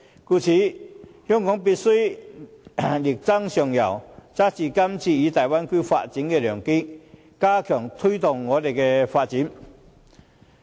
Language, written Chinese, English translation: Cantonese, 故此，香港必須力爭上游，抓住今次參與大灣區發展的良機，加強推動我們的發展。, So Hong Kong must strive for progress and seize this opportunity of participating in Bay Area development so as to add impetus to our progress and development